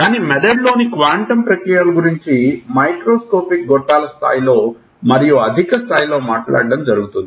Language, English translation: Telugu, But people have talked of quantum processes in the brain both at the level of microscopic tubules and at a higher level